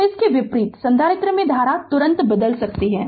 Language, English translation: Hindi, So, conversely the current to a capacitor can change instantaneously